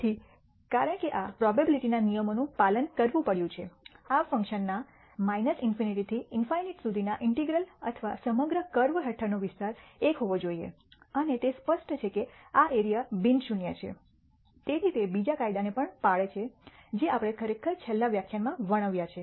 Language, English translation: Gujarati, Again, since this has to obey the laws of probability the integral from minus infinity to infinity of this function or the area under the entire curve should be equal to 1 and obviously, the area is non zero therefore it obeys the second law also we actually described in the last lecture